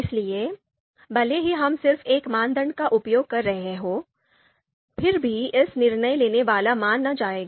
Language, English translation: Hindi, So even if we are using just one criterion, still it would be considered a decision making